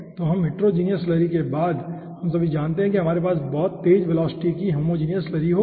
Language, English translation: Hindi, so after this homogeneous slurry, all of we know that we will be having homogeneous slurry at a very high velocity